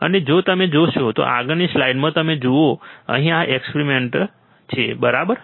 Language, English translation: Gujarati, And if you see, in the next slide you see here this is the experiment, right